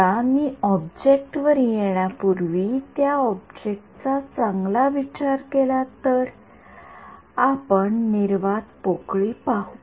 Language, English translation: Marathi, Now, if I consider the object well before I come to object let us look at vacuum